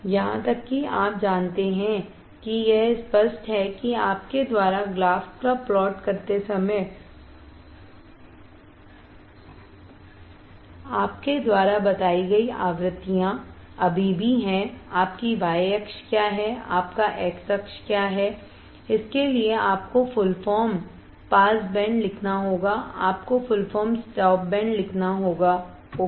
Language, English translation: Hindi, Even you know it is obvious that is the frequencies still you have mention when you are plotting a graph, what is your y axis, what is your x axis you have to write full form pass band, you have to write full form stop band ok